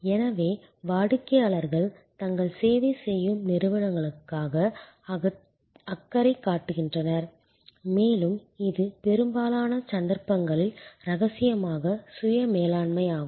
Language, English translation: Tamil, So, customers care for their serving organizations and that is a self management of confidentially in most cases